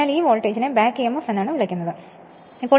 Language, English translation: Malayalam, So, that it is customary to refer to this voltage as the back emf